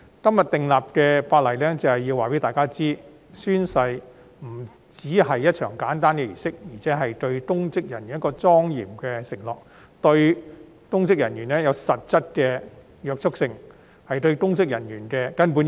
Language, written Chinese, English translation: Cantonese, 今天訂立的《條例草案》就是要告訴大家，宣誓不單是一場簡單的儀式，亦是公職人員作出的莊嚴承諾，對公職人員具實質的約束力，亦是對公職人員的根本要求。, The Bill enacted today aims to tell everyone that oath - taking is not simply a ceremony but also a solemn pledge made by public officers . Oath - taking has substantive binding effect on and is a fundamental requirement of public officers